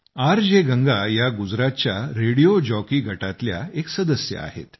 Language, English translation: Marathi, RJ Ganga is a member of a group of Radio Jockeys in Gujarat